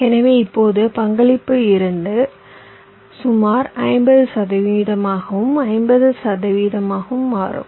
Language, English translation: Tamil, so now the contribution becomes roughly fifty, fifty, fifty percent here and fifty percent there